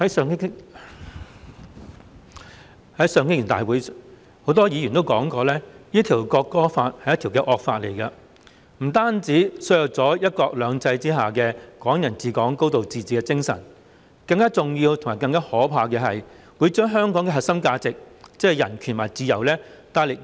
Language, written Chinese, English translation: Cantonese, 在上星期的會議，很多議員說《國歌條例草案》是一項惡法，不單削弱了"一國兩制"下"港人治港"、"高度自治"的精神，更重要和更可怕的是會嚴重摧毀香港的核心價值，即是人權和自由。, At the meeting last week many Members said that the National Anthem Bill the Bill was a draconian law . Not only would it undermine the spirit of Hong Kong people ruling Hong Kong and high degree of autonomy under one country two systems but it would also wreck the core values of human rights and freedom of Hong Kong